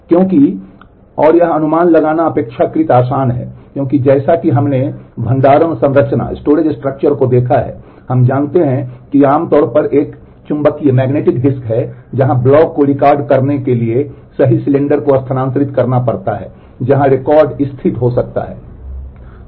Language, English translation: Hindi, Because and it is relatively easy to estimate that because as we have looked at the storage structure we know that it is a typically a magnetic disk which where the head has to move to the correct cylinder to find the block where the records can be located